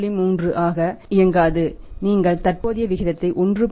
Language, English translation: Tamil, 3 you will have to keep the current ratio as 1